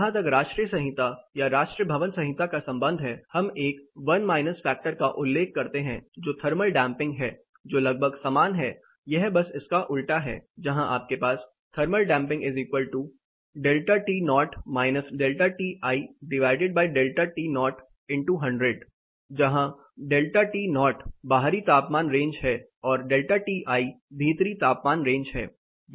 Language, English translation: Hindi, As far national code or national building code is concerned we refer to a 1 minus factor that is thermal damping which is almost the same it is a reverse of it where you have the delta T o minus delta T i this is the outside temperature range minus inside temperature range by the outside temperature